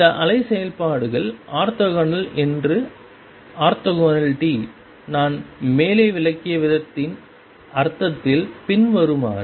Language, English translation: Tamil, Orthogonality that these wave functions are orthogonal in the sense of the way I have explained above it follows